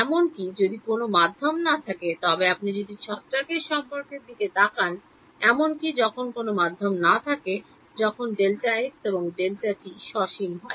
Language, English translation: Bengali, Even when there is no medium if you look at the dispersion relation; even when there is no medium when delta x and delta t are finite